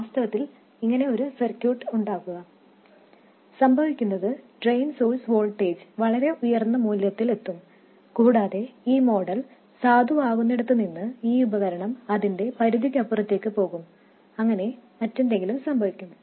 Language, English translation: Malayalam, If you do in fact make this circuit, what happens is the drain source voltage will reach some very high values and the device will go out of its limits where this model is valid